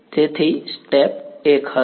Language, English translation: Gujarati, So, step 1 would be